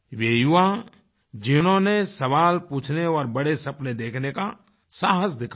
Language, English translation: Hindi, Those youth who have dared to ask questions and have had the courage to dream big